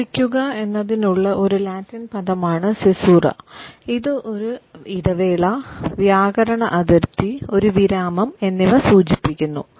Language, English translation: Malayalam, Caesura is a Latin word for cutting it suggests the break a grammatical boundary a pause which refers to a point of articulation